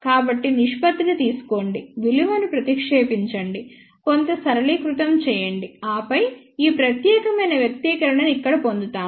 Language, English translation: Telugu, So, take the ratio, substitute the values, do some simplification and then, we get this particular expression over here